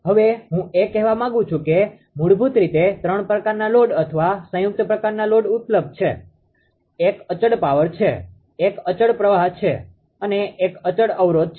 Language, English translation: Gujarati, Now what I want to tell that basically ah there are 3 types of load or composite type of loads that are available, one is constant power, one is constant current another is constant impedance